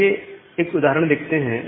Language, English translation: Hindi, So, let us see one example here